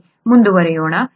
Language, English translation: Kannada, Okay let’s continue